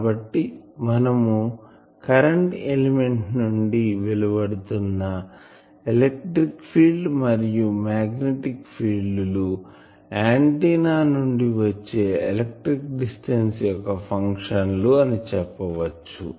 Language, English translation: Telugu, So, we can say that electric and magnetic fields that is coming out from the current element those are functions of the electrical distance of the antenna, from the antenna